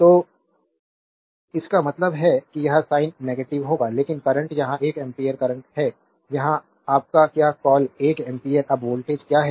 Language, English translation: Hindi, So; that means, this sign will be negative, but is current here is one ampere current here is your what you call 1 ampere now what is the voltage